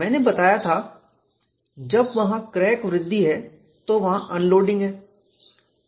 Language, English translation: Hindi, I had mentioned, when there is crack growth, there is unloading